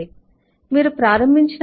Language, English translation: Telugu, when you started it was windows 8, 1